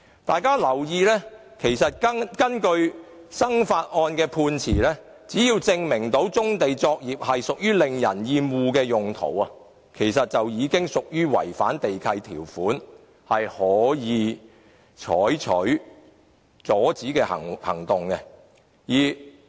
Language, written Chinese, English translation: Cantonese, 大家可以留意一下，根據"生發案"的判詞，只要能夠證明棕地作業屬於令人厭惡的用途，便已屬違反地契條款，可以採取阻止行動。, If we take a look at the judgment of the Melhado case we will find that as long as a brownfield site is found being used for offensive trade the site owner has contravened the lease conditions and the Government can take enforcement action to stop him